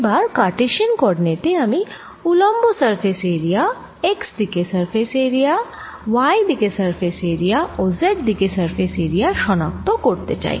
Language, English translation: Bengali, so in cartesian coordinates i want to identify surface area perpendicular: surface area in x direction, surface area in y direction and surface area in z direction